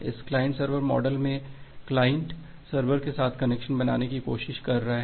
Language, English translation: Hindi, So in this client server model, the client is trying to make a connection with the server